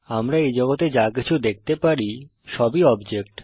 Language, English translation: Bengali, Whatever we can see in this world are all objects